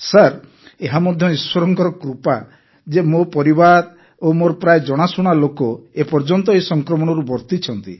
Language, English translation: Odia, So sir, it is God's grace that my family and most of my acquaintances are still untouched by this infection